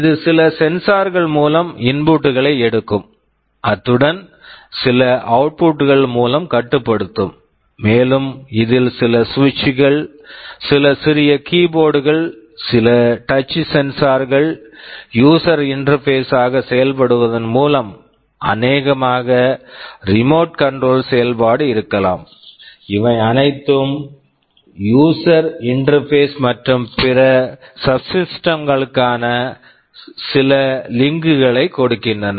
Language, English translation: Tamil, It takes inputs through some sensors, and it can control something through some outputs, and there are typically some user interfaces like some switches, some small keyboards, like some touch sensors maybe a remote control, these are all user interfaces and it can also have some links to other subsystems